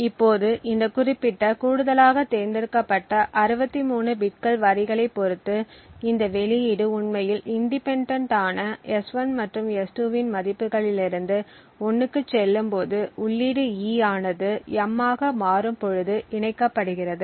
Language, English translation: Tamil, Now depending on this particular 63 bits of additional select lines that gets added and when this output actually gets goes to 1 independent of the values of S1 and S2 the input E gets switched into M